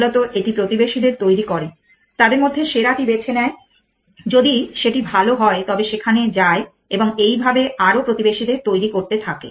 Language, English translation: Bengali, Basically, it says generate the neighbors pick the best amongst them if is better move to that then generate the neighbors and so on